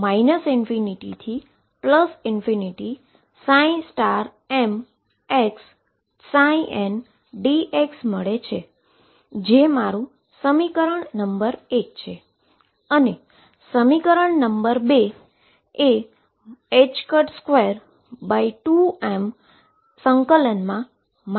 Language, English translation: Gujarati, So, that is equation number 1